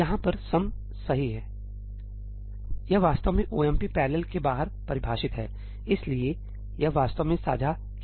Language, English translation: Hindi, This sum over here , this is actually defined outside ëomp parallelí, so, it is actually shared